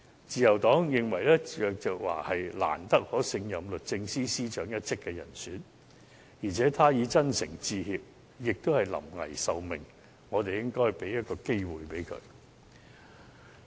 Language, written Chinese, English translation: Cantonese, 自由黨認為鄭若驊是難得可勝任律政司司長一職的人選，而且她已真誠致歉，也是臨危受命，我們應給她一個機會。, The Liberal Party thinks that the right candidate for the post of Secretary for Justice is hard to come by and Teresa CHENG is one such candidate . Since she has sincerely apologized and she was entrusted with this mission at a critical juncture we should give her a chance